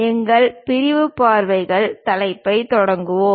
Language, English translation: Tamil, Let us begin our sectional views topic